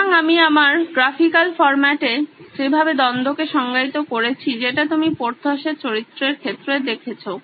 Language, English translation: Bengali, So the conflict in the way I have defined in my graphical format that you saw with Porthos’s tailor